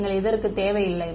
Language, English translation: Tamil, You need not